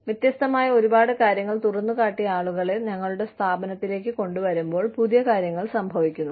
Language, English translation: Malayalam, When we get people, who have been exposed to a lot of different things, into our organization, newer things happen